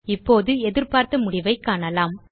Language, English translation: Tamil, Now we can see that the result is as expected